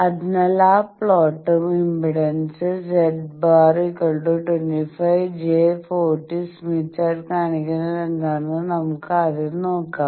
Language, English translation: Malayalam, So, let us see the first thing that we will do is whatever is showing that plot and impedance of 25 plus j 40 ohm on smith chart